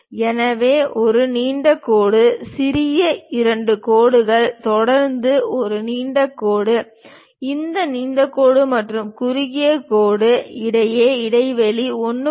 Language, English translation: Tamil, So, a long dash, small two dashes followed by long dash; the gap between these long dash and short dash is 1